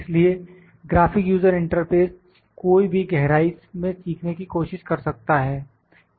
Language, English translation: Hindi, So, the graphic user interface one can try to learn in depth also